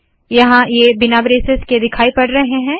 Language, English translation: Hindi, Here it appears without these braces